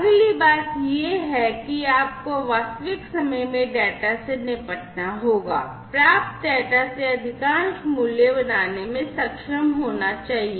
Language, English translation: Hindi, The next thing is that you have to deal with data in real time, to be able to make most value out of the received data